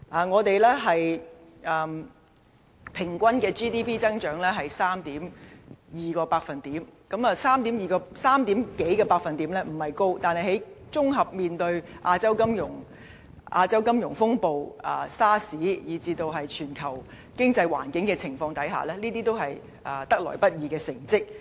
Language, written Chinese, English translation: Cantonese, 我們平均的 GDP 增長是 3.2%， 這百分比不算高，但在綜合面對亞洲金融風暴、SARS， 以至全球經濟環境的情況下，這已是得來不易的成績。, Our GDP grows at an average rate of 3.2 % . It is not particularly high but subject to the comprehensive impact of the Asian financial turmoil and SARS and under the global financial environment this performance is not easy to come by